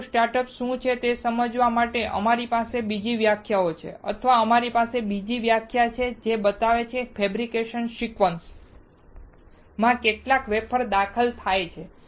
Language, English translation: Gujarati, To understand what is wafer start, we have another definition or they have another definition, which shows that how many wafers are introduced into the fabrication sequence